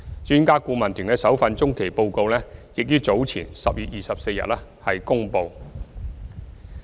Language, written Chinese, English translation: Cantonese, 專家顧問團的首份中期報告已於10月24日公布。, EAT already released its first interim report on 24 October